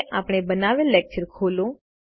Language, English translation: Gujarati, Now let us open the lecture we created